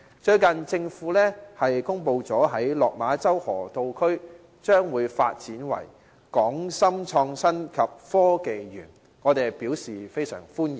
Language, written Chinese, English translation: Cantonese, 最近，政府公布在落馬洲河套區發展"港深創新及科技園"，我們非常歡迎。, Recently the Government has announced the development of the Hong Kong - Shenzhen Innovation and Technology Park in the Lok Ma Chau Loop and we welcome the plan warmly